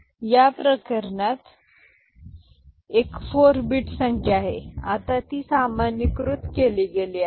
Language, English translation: Marathi, So, in this case this is a 4 bit number, now it is generalized